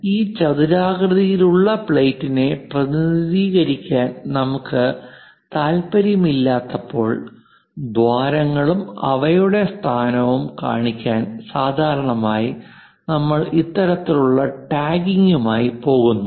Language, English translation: Malayalam, So, when we are not interested to represent this rectangular plate, but holes and their location, usually we go with this kind of tagging